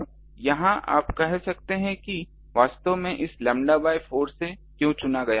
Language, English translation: Hindi, Now here you can say that actually this lambda 4 ah why it was chosen